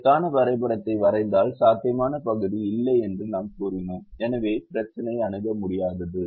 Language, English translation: Tamil, and if we drew the graph for this, we said there is no feasible region and therefore the problem infesaible